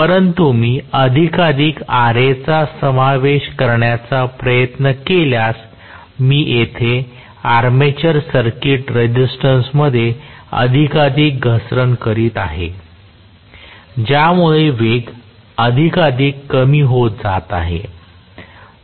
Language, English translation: Marathi, But if I try to include more and more Ra, I am going to have more and more drop in the armature circuit resistance here, because of which the speed is falling more and more